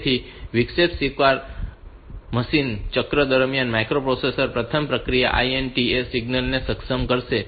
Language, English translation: Gujarati, So, this is the during interrupt technology machine cycle the first machines microprocessor will first enable the activated INTA signal